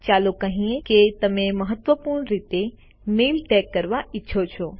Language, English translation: Gujarati, Lets say you want to tag a mail as Important